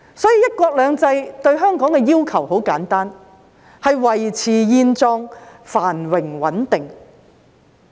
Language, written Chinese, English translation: Cantonese, 所以，"一國兩制"對香港的要求很簡單，便是"維持現狀，繁榮穩定"。, Therefore what one country two systems requires of Hong Kong is very simple namely to maintain the status quo of prosperity and stability